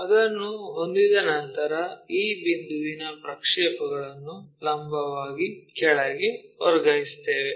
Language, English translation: Kannada, Once we have that transfer this point projections vertically down